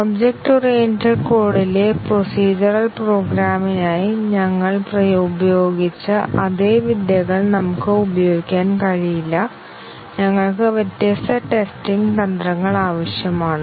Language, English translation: Malayalam, We cannot just use the same techniques we used for procedural programming in object oriented code, we need different testing strategies